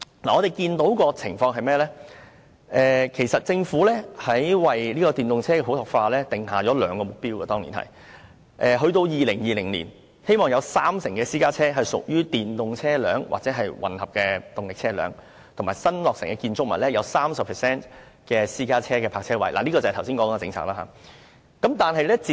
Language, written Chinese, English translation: Cantonese, 我們看見的情況是，政府當年為電動車普及化訂下兩個目標，一是希望到2020年，會有三成私家車屬於電動車或混合動力車；二是新落成的建築物有 30% 的私家車泊車位可提供充電設施，這便是剛才說的政策。, First by the year 2020 30 % of the private cars should be EVs or hybrid vehicles . Second 30 % of the private car parking spaces in newly constructed buildings should provide charging facilities . This is the policy I have been referring to